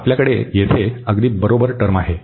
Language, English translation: Marathi, And then we have only the first term